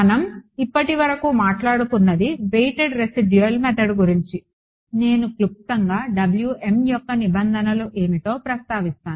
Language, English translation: Telugu, So, what I spoke about, was the weighted residual method I will briefly mention what are the requirements on Wm ok